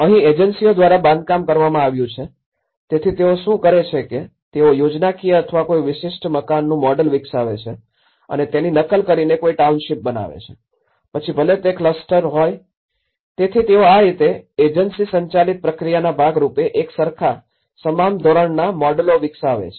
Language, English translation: Gujarati, So, here this is where the agency driven construction, so what they do is they develop a schematic or a model of a particular house and they replicate it whether it is a township, whether it is a cluster, so in that way, they try to develop as a uniform and the standardized models of it and this is mostly as an agency driven process